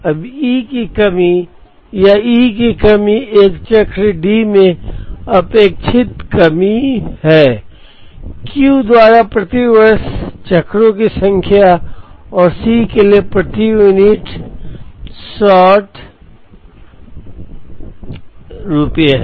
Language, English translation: Hindi, Now, E of s or E of shortage is the expected shortage in a cycle D by Q is the number of cycles per year and C s is rupees per unit short